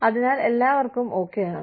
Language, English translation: Malayalam, So, everybody is okay